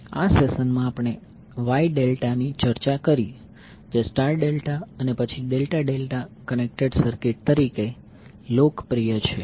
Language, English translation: Gujarati, In this session we discussed about the Wye Delta that is popularly known as star delta and then delta delta connected circuits